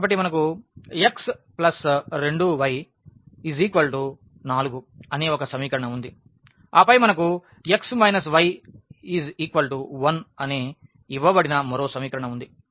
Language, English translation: Telugu, So, we have this x plus 2 y is equal to 4 one equation and then we have one more equation that is given by x minus y is equal to 1